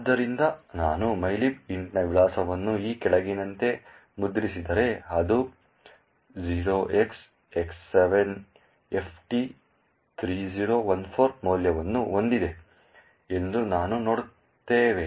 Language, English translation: Kannada, So, if I print the address of mylib int as follows, we see that it has the value X7FT3014